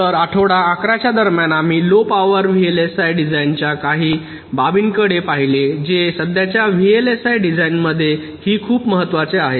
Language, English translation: Marathi, so during week eleven we looked at some of the aspects of low power vlsi design, which is also very important in present day vlsi design